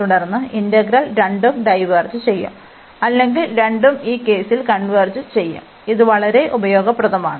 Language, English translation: Malayalam, And then there integral will also either both will diverge or both will converge in this case, and this is very useful